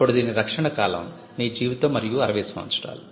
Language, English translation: Telugu, Then the protection is your life plus 60 years